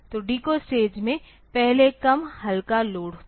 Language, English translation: Hindi, So, decode stage was previously less lightly loaded